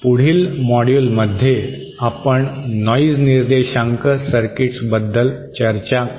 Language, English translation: Marathi, In the next module, we will discuss about noise figure circuits